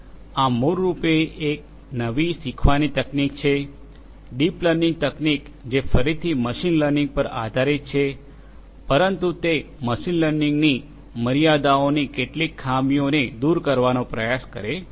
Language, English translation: Gujarati, This, this is basically where this is a new learning technique, the deep learning technique which is again based on machine learning, but it tries to overcome some of the some of the drawbacks of the, limitations of machine learning